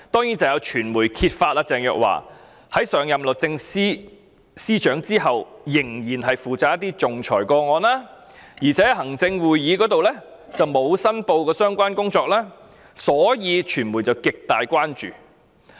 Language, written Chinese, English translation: Cantonese, 首先，有傳媒揭發鄭若驊在上任律政司司長後，仍然負責一些仲裁個案，但沒有向行政會議申報，便引起傳媒極大關注。, First of all some media revealed that Teresa CHENG was still responsible for some arbitration cases after taking the office of the Secretary for Justice but she had not declared interests to the Executive Council resulting in grave concern by the media